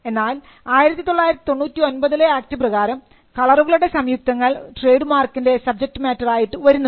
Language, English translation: Malayalam, But the 1999 act allows for colour combination of colours to be a subject matter of trademark